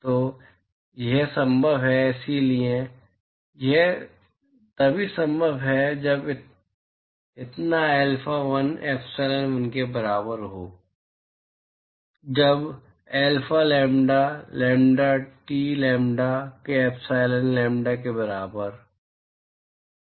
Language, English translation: Hindi, So, this is possible, so this is possible only when so alpha1 equal to epsilon1 only when alpha lambda lambda, T equal to epsilon lambda of lambda,T